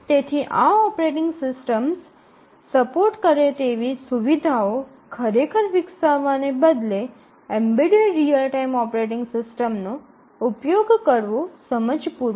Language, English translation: Gujarati, So, it makes sense to use a embedded real time operating system rather than really developing the features that these operating systems support